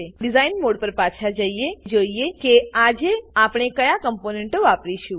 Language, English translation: Gujarati, Lets go back to Design mode and see what components well use today